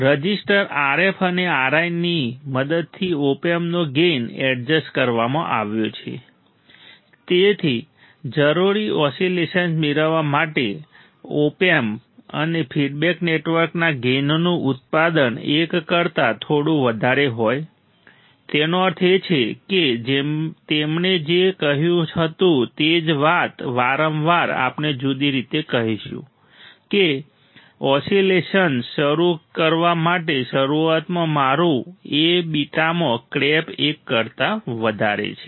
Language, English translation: Gujarati, The gain of the op amp adjusted with the help of resistors RF and R I such that the product of gain of op amp and the feedback network is slightly greater than one to get the required oscillations; that means, what he said that the same thing again and again we will say in a different fashion that to start the oscillation initially my A into beta is crap greater than one